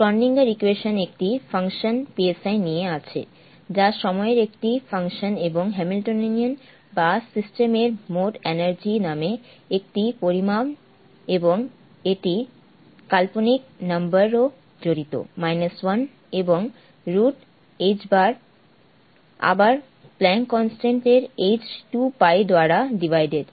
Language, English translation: Bengali, And I will like that out; Schrödinger's equation comes up with a function sai which is a function of time and a quantity call the Hamiltonian or the total energy of the system and it involves and involves the imaginary number square root of 1 and h bar is again Planck's constant h divided by 2*pi